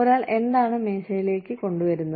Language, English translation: Malayalam, What is one bringing to the table